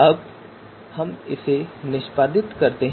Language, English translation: Hindi, Now so let us execute this